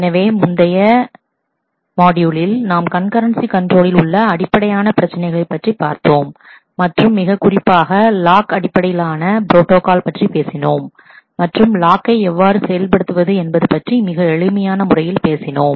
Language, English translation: Tamil, So, in the last module, we have talked about the basic issues in concurrency control; and particularly talked about lock based protocol and how to implement locking in very simple terms